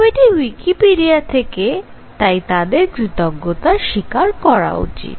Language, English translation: Bengali, So, picture from Wikipedia and acknowledge this here